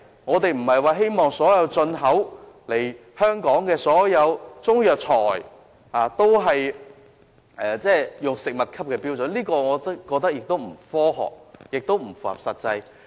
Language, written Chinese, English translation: Cantonese, 我們不希望所有進口本港的中藥材都要達到食物級別的標準，我認為這既不科學，也不切實際。, We do not expect all Chinese herbal medicines imported into Hong Kong to meet the required standards for food as I consider this unscientific and unrealistic